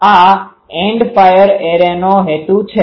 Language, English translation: Gujarati, This is the End fire Array concept